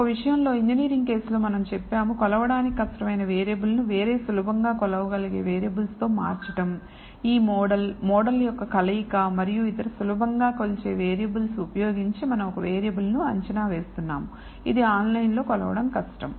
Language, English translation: Telugu, In the case of a the engineering case we said the purpose is to replace a difficult to measure variable, by other easily measured variables and this model using a combination of the model and other easily measured variables we are predicting a variable, which is difficult to measure online